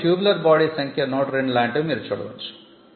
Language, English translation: Telugu, So, tubular body is 102, so on and so forth, you will understand that